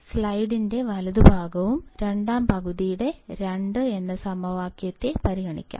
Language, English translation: Malayalam, So, let us consider the right side of the slide and second half that is the equation number 2